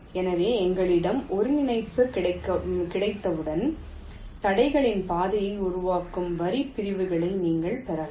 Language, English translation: Tamil, ok, so once we have the coordinate, you can get the line segments that constitute the, the path of the obstacles